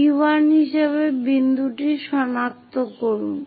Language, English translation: Bengali, Locate that point as P1